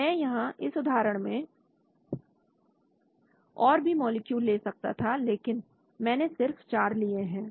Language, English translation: Hindi, So I can have more molecules here in this example I have just taken 4